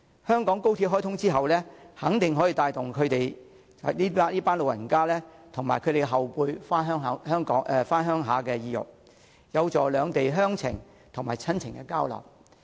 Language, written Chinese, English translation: Cantonese, 香港高鐵開通後，肯定可以帶動這群長者及其後輩回鄉的意欲，有助兩地鄉情和親情交流。, The commissioning of the Hong Kong Section of XRL will surely encourage this group of elderly people and their younger family members to visit their home towns thus promoting kinship and exchanges between Hong Kong and the Mainland